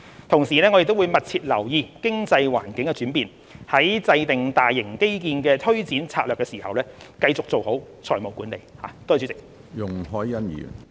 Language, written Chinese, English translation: Cantonese, 同時，政府會密切留意經濟環境的轉變，在制訂大型基建的推展策略時，繼續做好財務管理。, Meanwhile the Government will closely monitor changes in the economic environment and continue to exercise effective financial management when formulating implementation strategies for major infrastructure projects in future